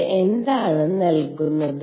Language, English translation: Malayalam, What does these give